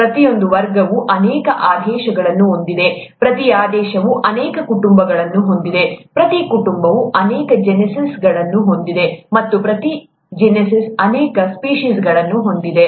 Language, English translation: Kannada, Each class has many orders, each order has many families, each family has many genuses, and each genus has many species